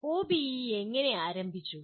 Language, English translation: Malayalam, How did OBE start